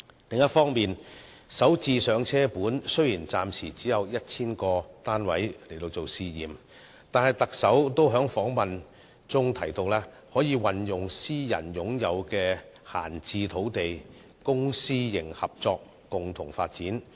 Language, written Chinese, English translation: Cantonese, 此外，雖然"港人首置上車盤"暫時只有 1,000 個作試驗的單位，但特首在接受訪問時也提到可運用私人擁有的閒置土地，由公私營合作共同發展。, Furthermore although only 1 000 units are scheduled to be launched under the Starter Homes Pilot Scheme for the time being the Chief Executive has mentioned in an interview that private idle sites may be used for joint development under public - private partnership